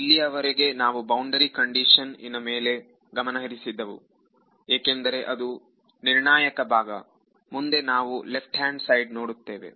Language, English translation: Kannada, So, far we have been concentrating on the boundary because that is the more sort of critical crucial part next we will look at the left hand side